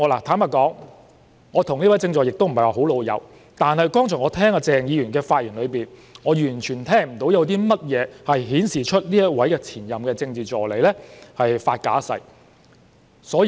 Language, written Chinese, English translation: Cantonese, 坦白說，我與這位政治助理不是太"老友"，但我剛才從鄭議員的發言中，完全聽不到有任何跡象顯示這位前任政治助理發假誓。, Frankly speaking I am not very familiar with this Political Assistant but from Dr CHENGs speech just now I failed to hear any signs showing that this former Political Assistant had made a false oath